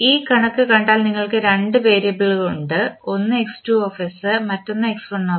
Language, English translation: Malayalam, If we see this figure you have two variables one is x2s and another is x1s